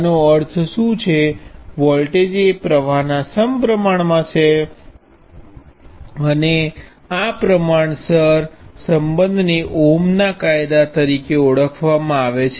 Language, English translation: Gujarati, What does this mean, the voltage is proportional to the current and this proportionality relationship is known as ohm’s law